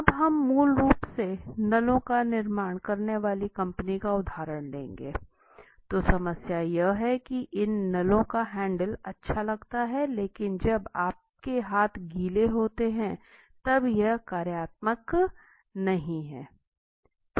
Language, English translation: Hindi, Now let us take this case of a firm which is manufacturing these pipes okay tap basically, so the problem statement these faucet handles look nice but they are not functional, when your hands are wet and soapy